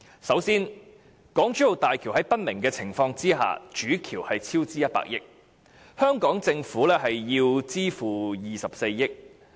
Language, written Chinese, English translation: Cantonese, 首先，港珠澳大橋主橋在不明的情況下超支100億元，香港政府須支付24億元。, First under unknown circumstances the Main Bridge of HZMB has incurred a cost overrun of RMB10 billion of which RMB2.4 billion has to be borne by the Hong Kong Government